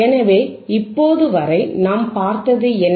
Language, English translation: Tamil, So, until now what we have seen